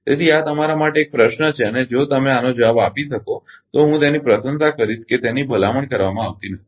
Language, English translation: Gujarati, So, this is a question to you and if you can answer this I will appreciate that ah it is not recommended